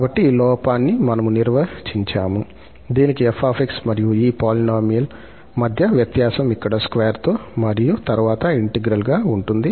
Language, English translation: Telugu, So, this is what we have defined this error, the difference between this f and this polynomial here with this square and then integral